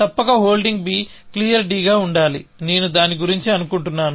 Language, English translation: Telugu, You must be holding b, and d must be clear, I think that is about it